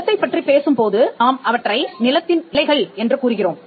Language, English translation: Tamil, In the case of the land we call them the boundaries of the land